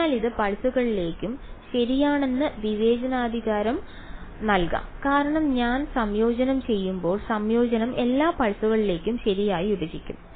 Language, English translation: Malayalam, So, may as well discretise that also into pulses ok, it will become because when I do the integration the integration will split over all the pulses right